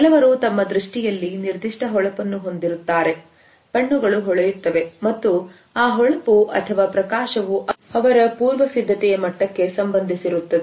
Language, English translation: Kannada, Some people have a particular sparkle in their eyes; the eyes shine and often we find that the shine or a sparkle is associated with the level of preparedness